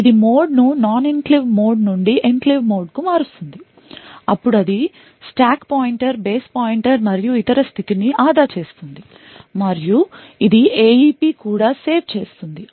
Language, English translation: Telugu, It would change the mode from the non enclave mode to the enclave mode then it would save the state of the stack pointer, base pointer and so on and it will also save something known as the AEP